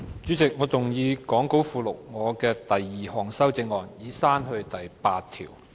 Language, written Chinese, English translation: Cantonese, 主席，我動議講稿附錄我的第二項修正案，以刪去第8條。, Chairman I move my second amendment to delete clause 8 as set out in the Appendix to the Script